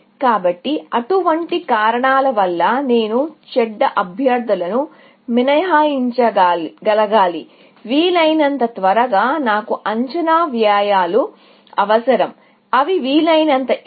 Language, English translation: Telugu, So, for such reasons, that I should be able to exclude bad candidates, as quickly as possible, I need estimated costs, which are as high as possible